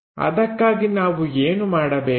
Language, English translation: Kannada, To do that what we have to do